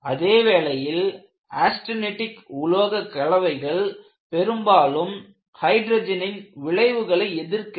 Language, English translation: Tamil, On the other hand, austenitic alloys are often regarded as immune to the effects of hydrogen